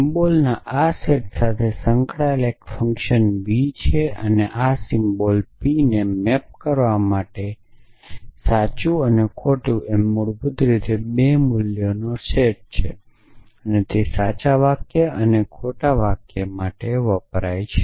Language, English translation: Gujarati, Associated with this set of symbols is a function v which map p this symbols to set let say true and false basically a two value set which as far as we are concerns will stands for true sentences and false sentences